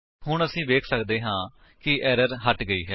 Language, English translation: Punjabi, Now we can see that the error has gone